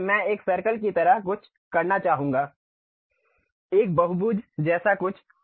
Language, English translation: Hindi, So, I would like to have something like circle, something like polygon